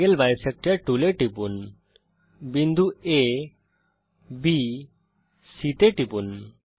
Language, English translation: Bengali, click on the Angle bisector tool and the tool bar, click on the points A,B,C